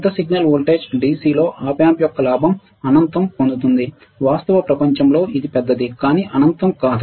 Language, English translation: Telugu, Large signal voltage gain the gain of the Op amp at DC right earlier we said and that again was infinite, in real world is it is large, but not infinite